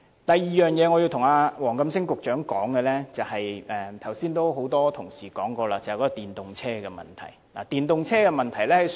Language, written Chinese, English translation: Cantonese, 我要對黃錦星局長說的第二點，很多同事剛才也說過了，就是電動車的問題。, The second issue that I have to discuss with Secretary WONG Kam - sing is about electric vehicles which was also mentioned by a number of colleagues earlier